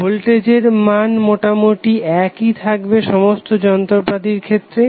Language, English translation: Bengali, Well voltage level will almost remain same in all the appliances